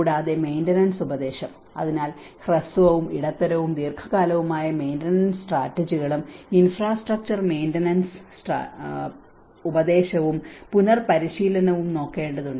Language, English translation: Malayalam, And the maintenance advice: so, one has to look at both short and medium and long term maintenance strategies and infrastructure maintenance advice and retraining